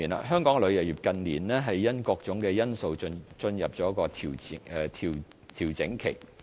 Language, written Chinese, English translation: Cantonese, 香港旅遊業近年因各種因素進入調整期。, Due to various reasons tourism in Hong Kong has entered its consolidation period in recent years